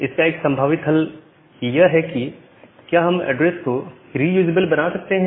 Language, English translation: Hindi, So, a possible solution is that if we can make the address reusable